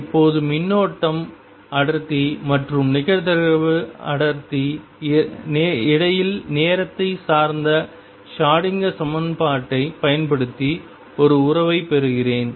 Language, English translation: Tamil, Now, let me derive a relationship, using time dependent Schroedinger equation between the current density and the probability density